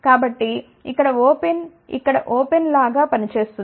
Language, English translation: Telugu, So, open here will act like open over here